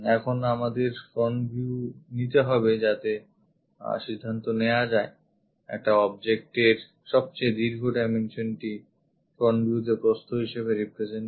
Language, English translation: Bengali, Now, we have to pick the front view to decide that longest dimension of an object should represented as width in front view